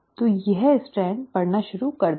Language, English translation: Hindi, So this strand will start reading